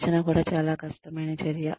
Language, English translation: Telugu, Training is also a very difficult activity